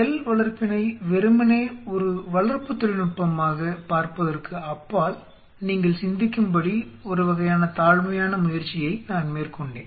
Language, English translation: Tamil, The first class I made a humble attempt to kind of request you to think beyond cell culture as just a culture technique